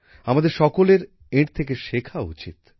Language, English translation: Bengali, Everyone should learn from her